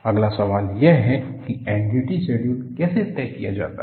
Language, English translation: Hindi, The next question how is the N D T schedule decided